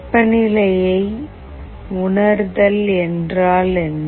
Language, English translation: Tamil, So, what is temperature sensing